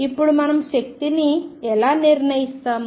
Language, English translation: Telugu, Now, how do we determine the energy